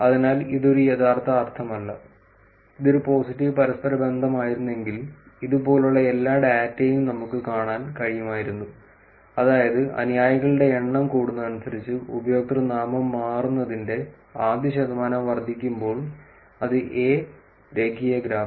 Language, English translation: Malayalam, So, this is not a really meaning, if it would have been a positive correlation we could have actually seen all data like this, which is as the number of followers increases, first percentage of times the username changes increases then it could be a linear graph